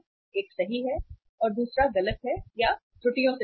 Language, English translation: Hindi, One is correct and the another one is the incorrect or full of errors